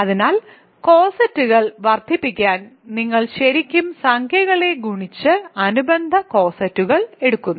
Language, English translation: Malayalam, So, and to multiply cosets you are really multiplying integers and then taking the corresponding cosets